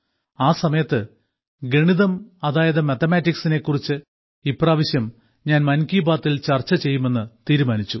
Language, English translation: Malayalam, At that very moment I had decided that I would definitely discuss mathematics this time in 'Mann Ki Baat'